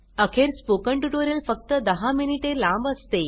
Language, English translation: Marathi, After all, a spoken tutorial is only ten minutes long